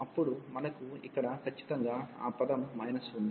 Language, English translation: Telugu, Then we have here minus exactly that term